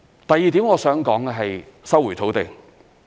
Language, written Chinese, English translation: Cantonese, 第二點我想談的是收回土地。, Secondly I would like to talk about land resumption